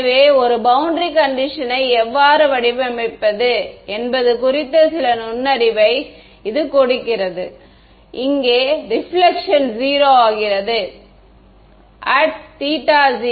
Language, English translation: Tamil, So, does this give you some insight into how to design a boundary condition, here the reflection is becoming 0, at theta equal to 0